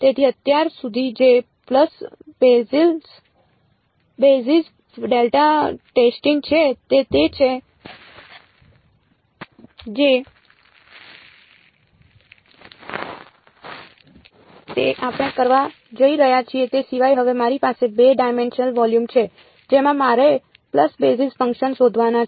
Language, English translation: Gujarati, So, far which is pulse basis delta testing that is what we are going to do except that now I have a 2 dimensional volume in which I have to find out pulse basis functions